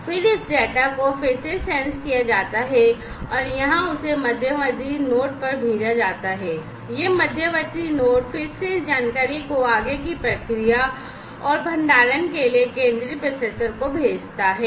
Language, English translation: Hindi, And then this data again is sensed is sensed and is sent over here to that intermediate node, this intermediate node again sends it to the central processor for further processing and storage this information